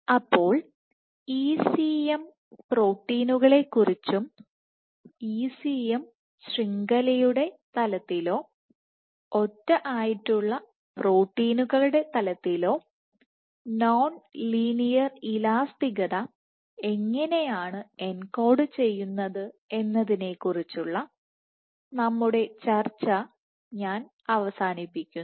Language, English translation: Malayalam, So, with that I conclude our discussion on ECM proteins and how non linear elasticity is engrained either at the level of a ECM network or at the level of single proteins